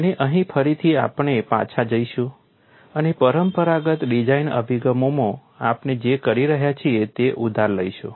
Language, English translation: Gujarati, And here again we will go back and borrow what we have been doing it in conventional design approaches